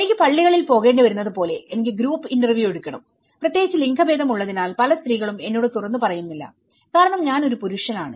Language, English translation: Malayalam, Like I have to visit in the mosques, I have to take the group interviews and especially, with gender many of the women doesn’t open up to me because I am a male person